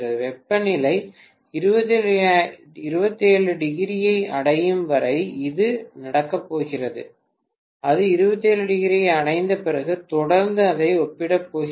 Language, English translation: Tamil, This is going to take place until the temperature reaches 27, after it reaches 27 also continuously it is going to compare it, right